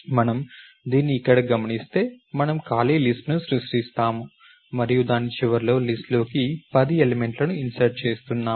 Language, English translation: Telugu, If we observe this over here we create an empty list and we are inserting 10 elements into the list at the end of it